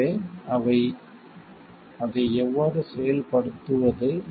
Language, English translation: Tamil, So, how to enforce it